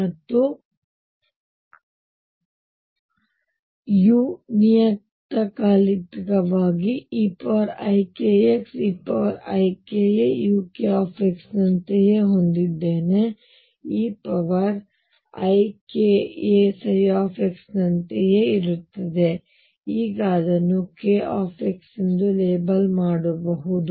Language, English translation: Kannada, And since u is periodic I am going to have this as e raise to i k a e raise to i k x u k x which is same as e raise to i k a psi, let me now label it as k x let me now label this as k x